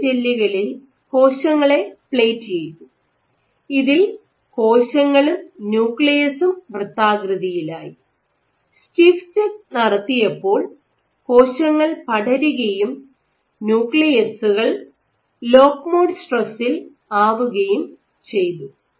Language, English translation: Malayalam, So, what they did they plated cells on soft gels, where nuclei where the cell is rounded and the nuclear is also rounded and on stiff checks, where the cell spreads and the nuclei is expected to be under lock mode stress ok